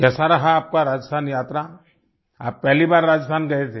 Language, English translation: Hindi, How was your Rajasthan visit